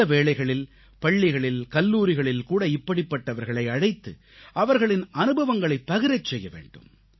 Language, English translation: Tamil, These people should be invited to schools and colleges to share their experiences